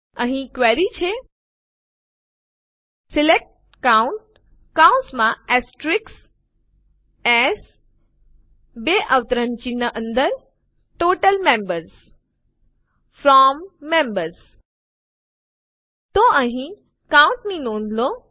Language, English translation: Gujarati, Here is a query: SELECT COUNT(*) AS Total Members FROM Members So here notice the COUNT